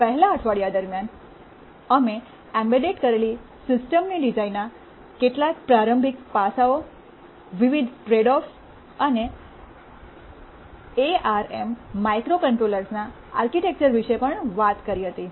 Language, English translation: Gujarati, During the 1st week, we had talked about some introductory aspects about embedded system design, various tradeoffs and also we talked about the architecture of the ARM microcontrollers